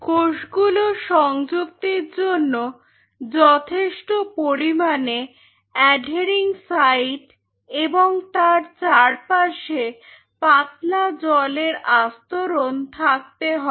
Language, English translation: Bengali, For the cells to attach you have to have reasonable amount of adhering side and a thin film of water around it